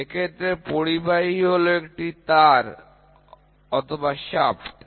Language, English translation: Bengali, Conductor is a wire, shaft, whatever it is